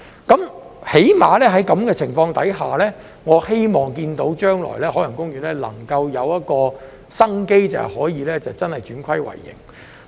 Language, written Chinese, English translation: Cantonese, 最低限度在這種情況下，我希望看到海洋公園將來能有一線生機，可以真的轉虧為盈。, Under such circumstances I hope there will at least be a slim chance of survival for OP in the future by turning losses into profits